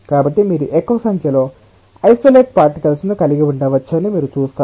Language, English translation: Telugu, so you see that you can have more number of particles, isolated particles